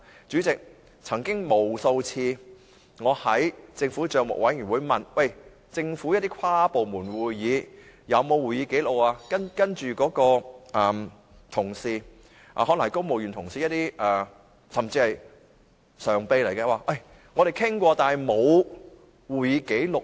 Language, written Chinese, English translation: Cantonese, 主席，我曾經在政府帳目委員會無數次詢問政府，就一些跨部門會議有沒有擬備會議紀錄，但那些公務員同事，甚至可能是常任秘書長，表示有作出討論但卻沒有會議紀錄。, President I have made countless enquiries to the Public Accounts Committee about whether records of meetings have been prepared for some interdepartmental meetings but the civil servant colleagues or even the Permanent Secretary indicates that discussions have been held but no records of meetings are available